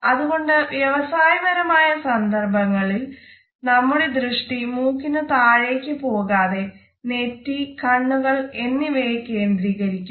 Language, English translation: Malayalam, So, the business case should never go beneath the nose and it should be focused on the forehead and eyes